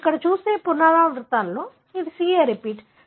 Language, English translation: Telugu, In a repeats that you see here, it is CA repeat